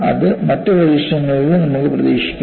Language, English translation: Malayalam, That, probably you could expect in other experiments also